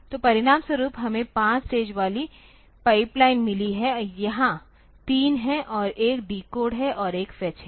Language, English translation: Hindi, So, as a result we have got a 5 stage pipeline the here is three and decode one and fetch one